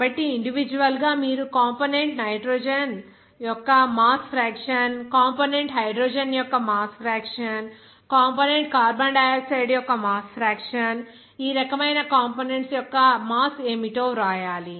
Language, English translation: Telugu, So, individually you have to write what to be the mass fraction of component nitrogen, the mass fraction of component hydrogen, the mass fraction of component carbon dioxide, the mass fraction of component like this